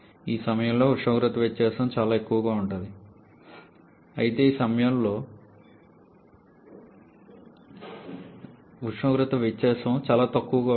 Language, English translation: Telugu, Then at this point the temperature difference is extremely high whereas at this point the temperature difference is quite low